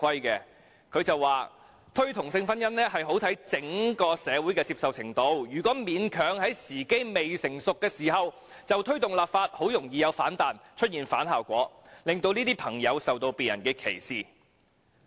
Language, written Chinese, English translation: Cantonese, 她說："推動同性婚姻很視乎整個社會的接受程度，如果勉強在時機未成熟時就推動立法，很容易有反彈，出現反效果，令這些朋友受到別人歧視"。, She said Promotion of same sex marriage hinges much on the extent of acceptance of society at large . If the time is not ripe for legislation and we still push for it this may trigger a backlash against gay people who will face discrimination